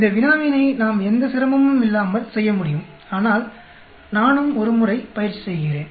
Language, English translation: Tamil, We should be able to do this problem without any difficulty, but let me also workout once more